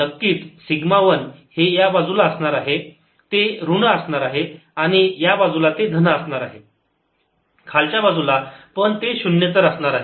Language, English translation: Marathi, suddenly, sigma one is going to be on this side, is going to be negative, and on this side is going to be positive and lower side, but it is non zero